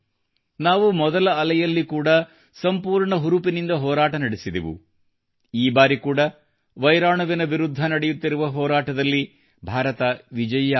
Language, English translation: Kannada, In the first wave, we fought courageously; this time too India will be victorious in the ongoing fight against the virus